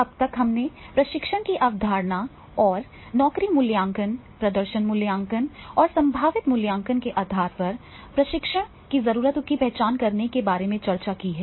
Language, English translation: Hindi, So far we have discussed about the concept of training then what are the how to identify the training needs on the basis of job evaluation performance appraisal and potential appraisal